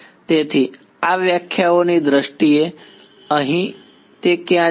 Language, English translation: Gujarati, So, in terms of this definitions over here where it go